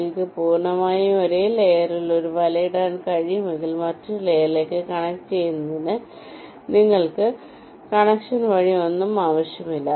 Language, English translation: Malayalam, if you can lay a net entirely on the same layer, you will not need any via connection for connecting to the other layer